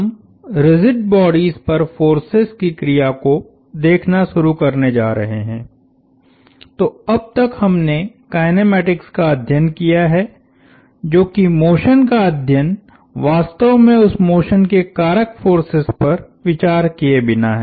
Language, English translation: Hindi, We are going to start looking at the action of forces on rigid bodies, so up until now we have studied kinematics which is study of motion without really considering forces that cause that motion